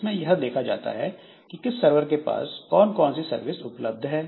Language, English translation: Hindi, So, that is there like which server is having which services available